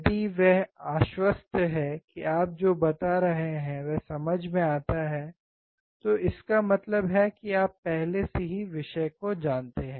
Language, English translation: Hindi, If he is convinced that what you are telling makes sense, then it means you already know the subject